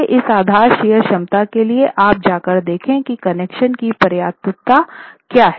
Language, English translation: Hindi, So, this stage, for this level of base share capacity, you will go and check what the connection adequacy is